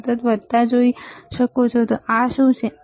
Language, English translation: Gujarati, You can see keep on increasing, what is this